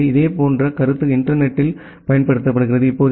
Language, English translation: Tamil, So, the similar concept is being used in the internet